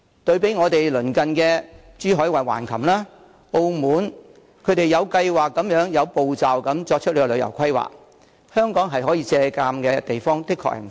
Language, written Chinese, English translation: Cantonese, 對比之下，鄰近的珠海橫琴和澳門均有計劃、有步驟地作出旅遊規劃，香港可以借鑒的地方確實不少。, By contrast neighbouring places like Hengqin in Zhuhai and Macao are making their tourism planning in a well - planned and orderly manner and there are indeed many experiences for Hong Kong to draw reference from